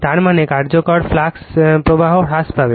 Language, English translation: Bengali, That means, effective flux will be getting reduced